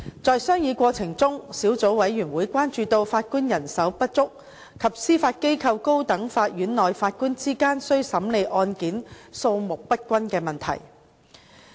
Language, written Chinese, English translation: Cantonese, 在商議過程中，小組委員會關注到法官人手不足及司法機構高等法院內法官之間須審理案件數目不均的問題。, In the course of deliberation the Subcommittee expressed concern about the shortage of judges and uneven distribution of caseloads among Judges in the High Court of the Judiciary